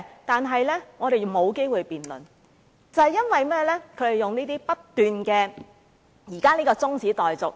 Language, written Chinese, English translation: Cantonese, 但我們沒有機會辯論，皆因他們不斷提出辯論中止待續議案。, Yet we have no opportunities for such debate all because they keep proposing motions to adjourn debates